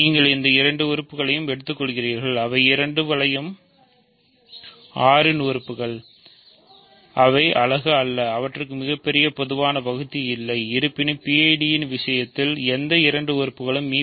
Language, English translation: Tamil, So, you take these two elements, they are both elements of the ring R they are not unit is and they have no greatest common divisor so; however, in the case of PID s any two elements have g c d and why is that